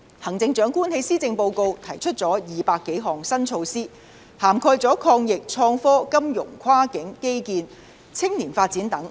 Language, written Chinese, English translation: Cantonese, 行政長官在施政報告提出200多項新措施，涵蓋抗疫、創科、金融、跨境基建和青年發展等。, The Policy Address comes with over 200 new policy initiatives covering such areas as fighting against the epidemic innovation and technology financial services cross - boundary infrastructure and youth development